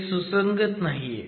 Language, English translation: Marathi, This is not commensurate